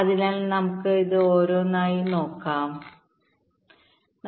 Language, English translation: Malayalam, so let us see this one by one, right, ok